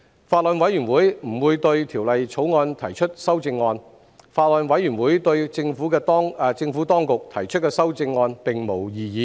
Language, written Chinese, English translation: Cantonese, 法案委員會不會對《條例草案》提出修正案。法案委員會對政府當局提出的修正案並無異議。, The Bills Committee will not propose any amendment to the Bill and it has raised no objection to the amendments proposed by the Administration